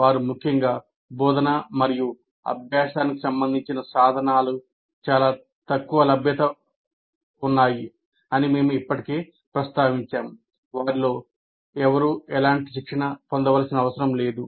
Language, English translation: Telugu, And they're ill equipped, particularly with respect to teaching and learning, which we have already mentioned because none of them need to undergo any kind of train